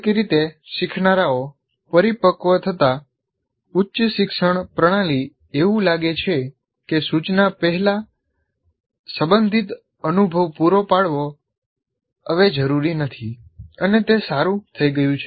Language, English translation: Gujarati, And somehow as learners mature the higher education system seems to feel that providing relevant experience prior to instruction is no longer necessary